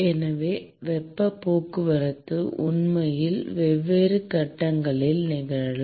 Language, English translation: Tamil, So, heat transport can actually occur in different phases